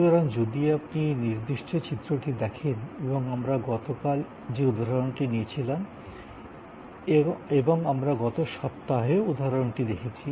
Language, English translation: Bengali, So, if you look at this particular diagram and we are continuing from the example that we had taken yesterday and the example we took last week as well